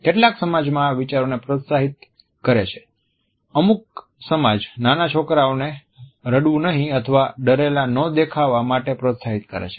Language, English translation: Gujarati, Some societies encourage the idea that young boys or little manners they are called do not cry or look afraid